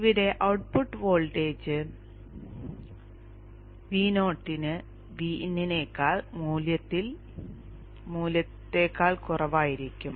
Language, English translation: Malayalam, Here the output voltage V0 will have a value less than that of VIN